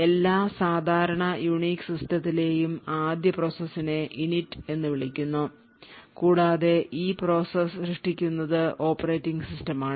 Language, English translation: Malayalam, The 1st process in every typical unique system is known as Init and this particular process is created by the operating system